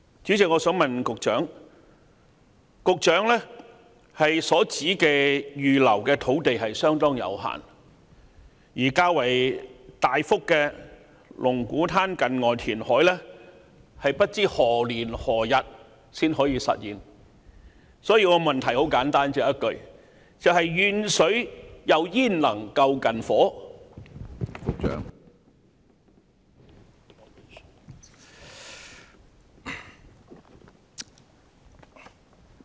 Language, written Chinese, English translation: Cantonese, 主席，一如局長所指出，預留的土地相當有限，但龍鼓灘近岸填海工程所能提供的較大幅用地卻未知何時才能實現，所以我的補充質詢很簡單，只有一句說話：遠水焉能救近火？, President like what the Secretary has pointed out there is very limited land reserved for this purpose and the availability of the large land parcels that can be provided under the Lung Kwu Tan near - shore reclamation project is still unknown . Hence my supplementary question is very simple and it can be summed up in only one sentence How would distant water help to put out a fire close at hand?